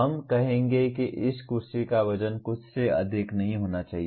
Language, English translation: Hindi, We will say the weight of this chair should not exceed something